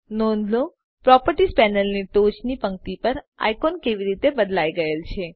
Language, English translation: Gujarati, Notice how the icons at the top row of the Properties panel have now changed